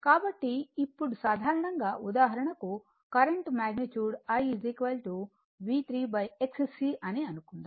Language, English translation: Telugu, So, now in general that magnitude of the current I is equal to say V 3 upon x e for example,